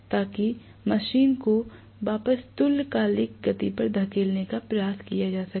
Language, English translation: Hindi, So that will try to push the machine back to synchronous speed that is what is going to happen